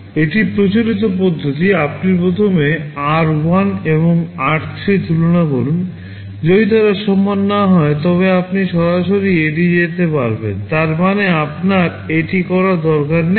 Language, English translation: Bengali, This is the conventional approach, you first compare r1 and r3; if they are not equal you can straight away skip; that means, you have you do not have to do it